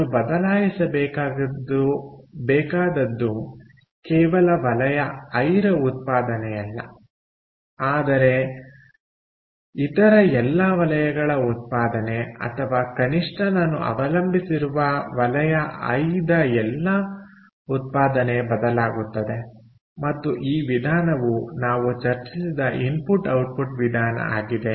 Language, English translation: Kannada, so its not just a production of sector i that needs to change, but production of all the other sectors, or or at least the sectors on which the output of sector i depends, will all change and this method, the input output method that we just discussed, we will let us calculate that